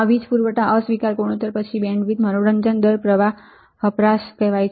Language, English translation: Gujarati, This is another called power supply rejection ratio then bandwidth right slew rate supply current power consumption